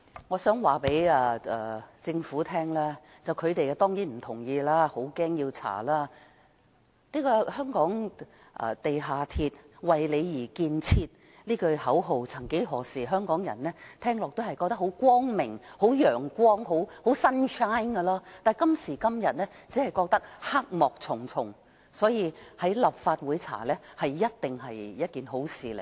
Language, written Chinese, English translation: Cantonese, 我想告訴政府，官員當然不同意，很害怕要調查事件，"香港地下鐵，為你而建設"這句口號曾幾何時香港人聽到感到很光明、很陽光，但今時今日只覺得黑幕重重，所以，在立法會調查一定是一件好事。, The officials would certainly disagree to what I intended to say and they did not want to investigate into the incident . MTR running for you was once a slogan that made Hong Kong people think of brightness and sunshine but now we can only think of shady acts . Therefore it is desirable if an investigation is conducted by the Legislative Council